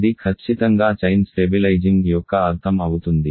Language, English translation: Telugu, This is exactly the meaning of a chain stabilizing